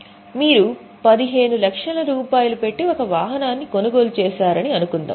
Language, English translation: Telugu, Suppose you purchase, say, a vehicle at 15 lakhs